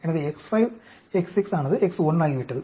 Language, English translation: Tamil, So X 5, X 6 has become X 1